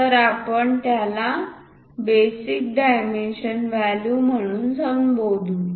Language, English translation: Marathi, So, we call that as basic dimension value